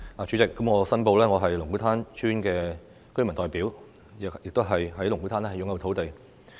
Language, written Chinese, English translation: Cantonese, 主席，我申報，我是龍鼓灘村的原居民代表，亦在龍鼓灘擁有土地。, President I declare that I am the representative of the indigenous inhabitants of Lung Kwu Tan Village and I have lands in Lung Kwu Tan